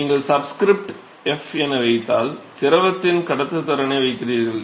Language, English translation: Tamil, So, you put a subscript f, conductivity of the fluid